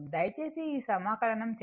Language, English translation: Telugu, You please do this integration